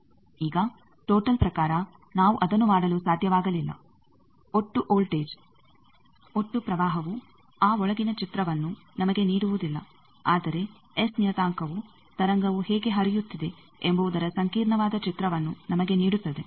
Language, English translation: Kannada, Now in terms of total thing we could not have done that, total voltage, total current does not give us that inside picture, but the S parameter which is how the wave is flowing that gives us that intricate picture